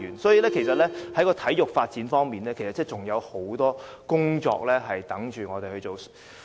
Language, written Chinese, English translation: Cantonese, 所以，在體育發展方面，其實仍有很多工作等待我們去做。, In the light of that there are actually a lot of work to be done for sports development